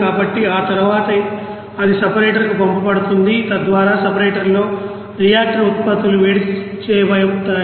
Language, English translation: Telugu, So after that it will be send to separator so that in the separator the you know reactor products will be you know separated